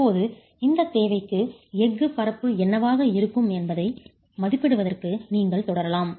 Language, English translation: Tamil, Now you will proceed to estimate what the area of steel would be for this requirement